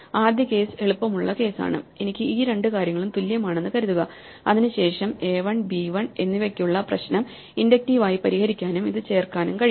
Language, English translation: Malayalam, The first case is the easy case, supposing I have these two things are equal then like before I can inductively solve the problem for a 1 and b 1 onwards and add this